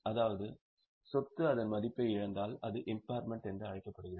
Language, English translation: Tamil, That means if asset loses its value it is called as impairment